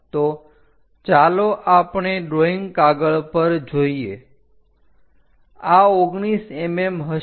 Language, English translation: Gujarati, So, let us look at the drawing sheet this will be 19 mm